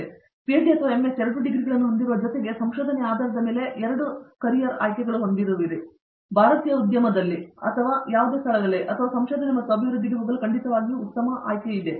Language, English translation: Kannada, So, with PhD or MS which are both degrees based on research you have 2 carrier options, one is to go into research and development in the Indian industry or any other place or R and D is definitely a very good option for them